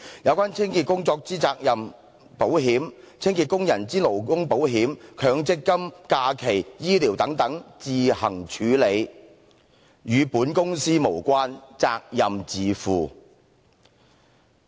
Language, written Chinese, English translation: Cantonese, 有關清潔工作之責任保險、清潔工人之勞工保險、強積金、假期、醫療等等，自行處理，與本公司()無關，責任自負。, The liability insurance of such cleaning work the labour insurance Mandatory Provident Fund leave medical benefits etc . of cleaning workers shall be arranged at the Contractors discretion . The Company shall not be held responsible and the responsibility is vested with the Contractor